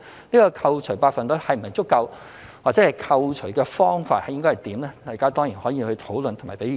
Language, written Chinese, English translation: Cantonese, 這個扣除百分率是否足夠或扣除的方法應該如何，大家當然可以討論和給意見。, Whether the percentage of deduction is adequate or how deduction should be made is open to discussion and views